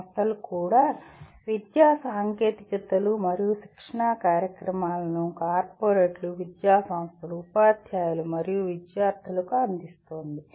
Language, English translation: Telugu, Even the company is offering education technologies and training programs to corporates, educational institutions, teachers and students